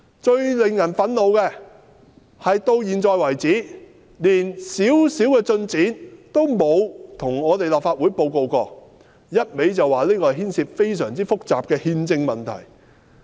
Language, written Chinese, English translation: Cantonese, 最令人憤怒的是，到目前為止，連些微進展也沒有向立法會報告過，一味說這事牽涉非常複雜的憲制問題。, It is most outrageous that little progress has so far been reported to the Legislative Council and the Government keeps saying that this issue involves complicated constitutional problems